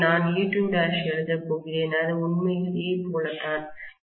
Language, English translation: Tamil, So I am going to write e1 by e2 equal to N1 by N2